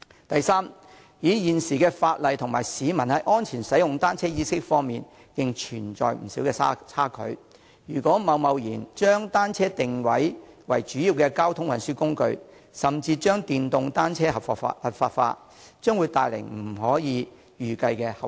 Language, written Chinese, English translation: Cantonese, 第三，現時的法例與市民在安全使用單車方面的意識仍存在不少差距，如果貿然將單車定位為主要交通運輸工具，甚至將電動單車合法化，將會帶來不可預計的後遺症。, Thirdly there is still a substantial gap between the existing legislation and public awareness of safe use of bicycles . If we rashly position bicycles as a major mode of transport and even legalize pedelecs it will bring unforeseeable consequences